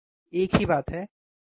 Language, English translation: Hindi, The same thing, right